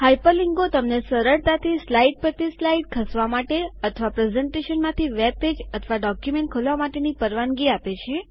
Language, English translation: Gujarati, Hyper linking allows you to easily move from slide to slide or open a web page or a document from the presentation